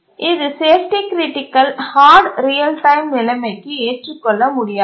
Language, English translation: Tamil, That's not acceptable in a safety critical hard real time situation